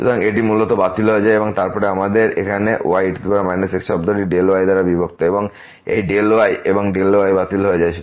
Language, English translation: Bengali, So, it basically gets cancelled and then, we have here power minus term divided by delta and this delta and delta will be cancelled